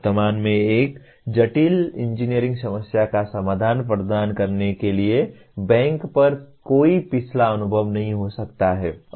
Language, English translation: Hindi, There may not be any previous experience to bank on to provide a solution to a present a complex engineering problem at present